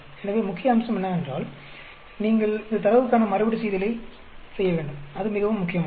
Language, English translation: Tamil, So, the main point is you need to have replication of the data here; that is very very important